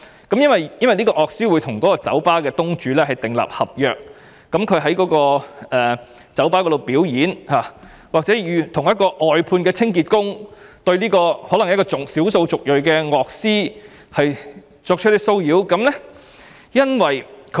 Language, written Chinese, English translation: Cantonese, 該樂師與酒吧東主訂立合約，而在該酒吧表演期間，一名外判清潔工人對這名小數族裔樂師作出騷擾。, The musician has entered into a contract with the bar owner and during his performance this ethnic minority musician was harassed by a cleaner employed by an outsourced service contractor